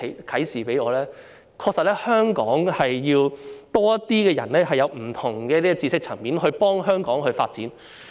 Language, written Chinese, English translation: Cantonese, 就是香港確實需要多些人，從不同的知識層面幫助香港發展。, That is Hong Kong really needs more people with knowledge in different aspects to assist its development